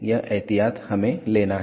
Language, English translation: Hindi, This is the precaution we have to take